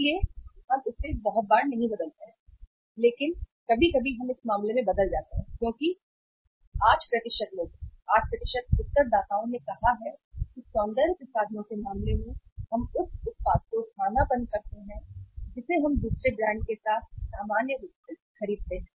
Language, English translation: Hindi, So we do not change it very frequently but sometimes we change as in this case 8% of the people, 8% of the respondents have said that in case of the cosmetics we substitute the product we buy normally with the another brand